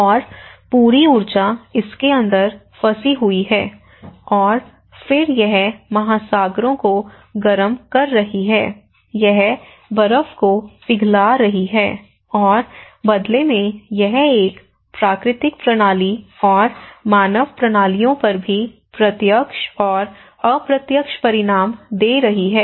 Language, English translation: Hindi, And the whole energy is trapped inside this and then it is warming of the oceans, it is melting the ice, and in turn it is giving an indirect consequences and direct and indirect consequences on a natural systems and also the human systems